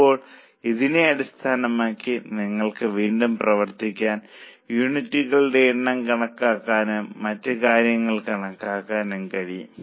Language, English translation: Malayalam, Now, based on this, you can work back and compute the number of units and also compute the other things